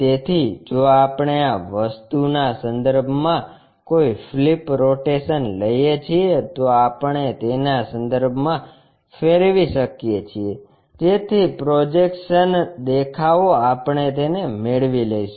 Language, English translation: Gujarati, So, if we are taking any flip rotation about this thing we can rotate about this so that the projected view we will take it